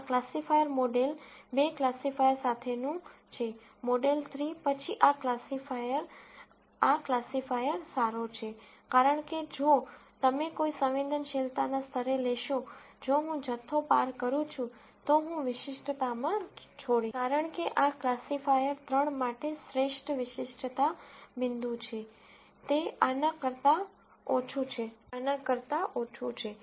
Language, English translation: Gujarati, This is classifier with model 2 classifier, model 3, then this classifier is better than this Classifier is better than this classifier, because if you take at any sensitivity level, if I go across the amount I give up in specificity, because this is the best specificity point for classifier 3 is less than this, is less than this